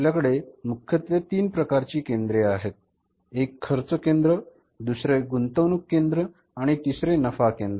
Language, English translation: Marathi, One is the cost center, second is the investment center and third one is the profit center